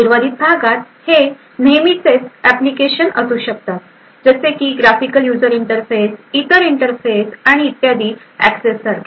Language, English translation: Marathi, The remaining part could be the regular application like access like the graphical user interfaces other interfaces and so on